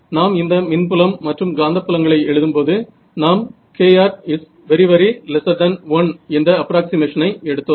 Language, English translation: Tamil, So, actually the thing is that when we wrote down these electric and magnetic fields we made the approximation kr much much less than 1